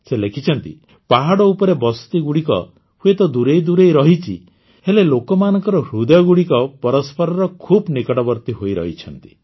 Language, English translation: Odia, He wrote that the settlements on the mountains might be far apart, but the hearts of the people are very close to each other